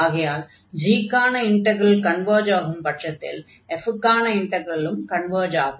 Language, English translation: Tamil, And in that case if this g converges, the f will also converge